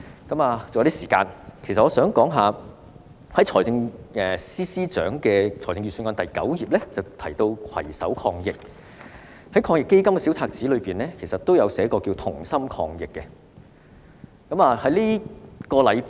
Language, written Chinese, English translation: Cantonese, 還有一些時間，我想說說，財政司司長的預算案第9頁提到"攜手抗疫"，防疫抗疫基金小冊子也提及"同心抗疫"。, Since I still have some time left I would like to talk about another issue . The Financial Secretary has mentioned Fight the Epidemic on page 9 of the Budget whereas Fight the Virus Together is also mentioned in a pamphlet on the Anti - epidemic Fund